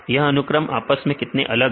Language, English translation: Hindi, how they are distant from the sequences